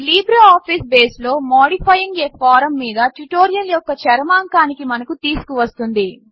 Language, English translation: Telugu, This brings us to the end of this tutorial on Modifying a Form in LibreOffice Base